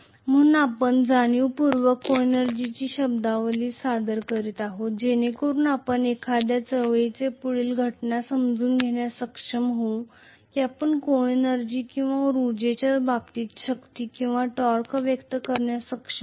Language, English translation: Marathi, So we are deliberately introducing the terminology of coenergy so that we will be able to understand further a movement takes place will we be able to express force or torque in terms of coenergy or energy